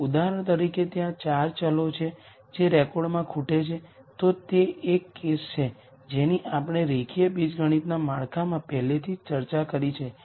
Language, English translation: Gujarati, If for example, there are 4 variables that are missing in a record then that is one case that we have discussed already in the linear algebra framework